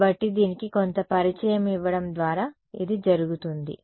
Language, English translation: Telugu, So, this is just by means of giving some introduction to it